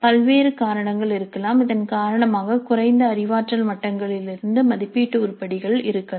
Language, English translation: Tamil, So there could be a variety of reasons because of which we may have assessment items from lower cognitive levels